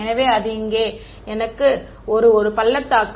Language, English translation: Tamil, So, its like I have one valley over here right